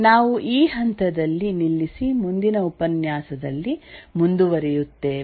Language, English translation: Kannada, We will stop at this point and continue in the next lecture